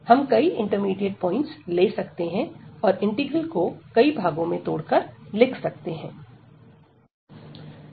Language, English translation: Hindi, We can take many intermediate points and we can break the integral into several integrals